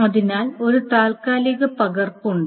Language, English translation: Malayalam, So there is a temporary copy